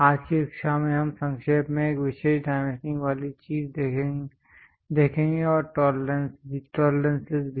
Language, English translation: Hindi, In today's class we will briefly look at special dimensioning thing and also tolerances